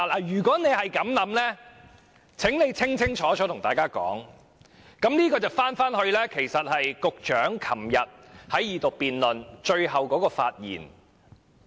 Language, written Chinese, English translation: Cantonese, 如果他們是這樣想，請清楚告訴大家，這樣我們便回到局長昨天在恢復二讀辯論最後的發言。, If this is what they have in mind please tell us clearly so that we can recall the concluding speech made by the Secretary during the resumption of the Second Reading debate yesterday